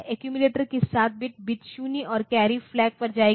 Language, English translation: Hindi, So, bit 7 will go to bit 0 as well as the carry flag